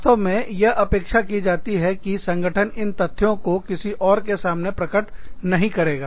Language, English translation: Hindi, It is actually expected, that the organization will not reveal, these issues to anyone else